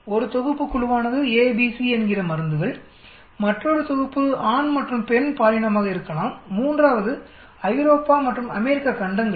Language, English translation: Tamil, 1 set of groups should be drugs a, b, c, another set of could be the male and female gender, the 3 rd one could be the continent Europe and U